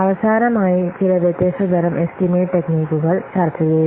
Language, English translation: Malayalam, We will see some different other types of estimation techniques